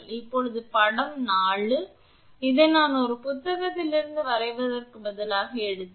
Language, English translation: Tamil, Now, this is figure 4, this I have taken from a book instead of drawing it